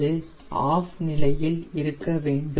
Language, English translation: Tamil, at present it is in the off condition